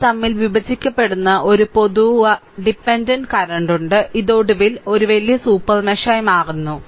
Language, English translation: Malayalam, So, become they have a common dependent currents I told you intersect and this actually finally, it is become a bigger or a larger super mesh